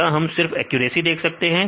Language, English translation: Hindi, Then can we see only the accuracy